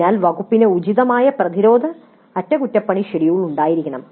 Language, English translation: Malayalam, So there must be an appropriate preventive maintenance schedule by the department